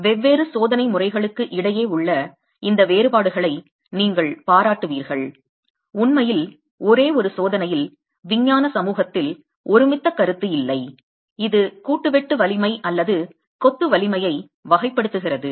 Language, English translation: Tamil, You will appreciate the fact given these differences that exist between the different test methods that really there is no consensus in the scientific community on one single test that characterizes either the joint shear strength or the sheer strength of masonry